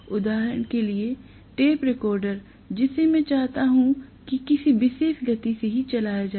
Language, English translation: Hindi, For example, tape recorder if I want that to run at a particular speed only obviously